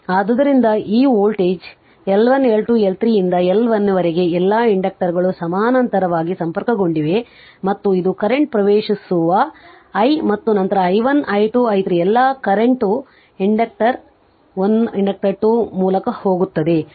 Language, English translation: Kannada, So, this is the voltage and this L 1 L 2 L 3 up to L N all inductors are connected in parallel and this is the current entering into i right and then i1 i2 i3 all current going through inductor 1 inductor 2 like this